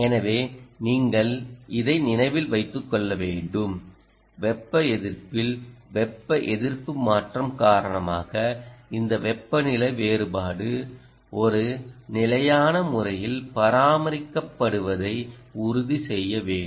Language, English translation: Tamil, you must bear this in mind that ah, because of thermal resistance, change in thermal resistance, you will have to ensure that this temperature differential is maintained, ah in a sustained manner